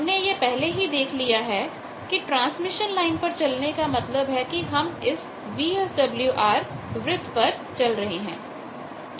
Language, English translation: Hindi, We have seen that actually moving on the transmission line means you are moving on that VSWR circle